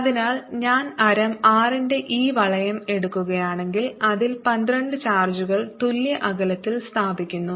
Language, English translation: Malayalam, so if i take this ring of radius r, there are twelve charges placed on it at equal distances